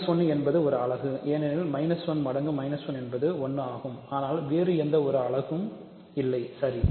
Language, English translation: Tamil, So, minus 1 is a unit because minus 1 times minus 1 is 1, but there are no other units, right